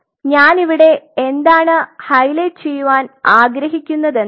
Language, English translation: Malayalam, So, what I wanted to highlight here